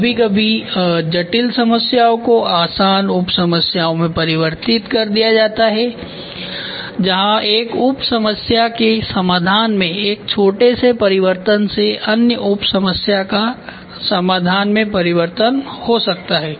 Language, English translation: Hindi, Sometimes complex problems are reduced into easier sub problems where a small change in the solution of one sub problem can lead to a change in other sub problem solution ok